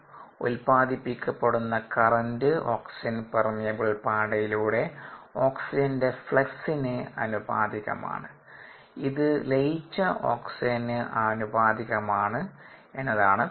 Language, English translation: Malayalam, the current produced is proportional to the flux of oxygen across the oxygen permeable membrane, which in turn is proportional to the dissolved oxygen